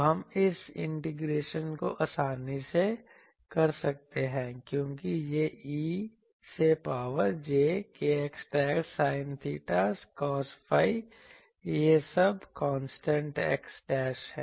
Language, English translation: Hindi, So, we can easily do this integration because it is E to the power j k x dashed sin theta cos phi all this constant x dashed